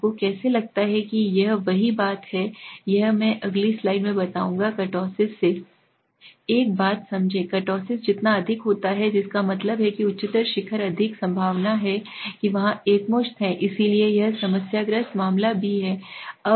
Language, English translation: Hindi, How do you find this is the same thing, this I will explain in the next slide understand one thing from the kurtosis, the more the kurtosis that means the higher the peaked ness the more is the chances there is the outlier, so that is also the problematic case